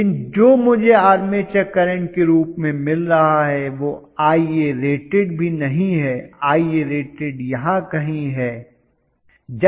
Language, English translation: Hindi, But what I am getting as an armature current is not even Ia rated, Ia rated is somewhere here